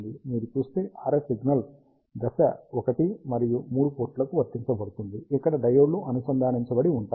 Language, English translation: Telugu, And the RF signal if you see is applied in phase to ports one and three, where the diodes are connected